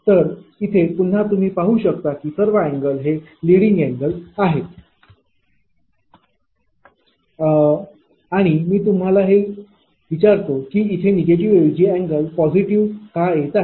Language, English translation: Marathi, So, here again you can see that all the angles are leading angle and I ask you also that why instead of negative, why this positive angle is coming